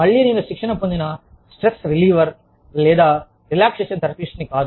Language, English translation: Telugu, Again, i am no trained stress reliever, or relaxation therapist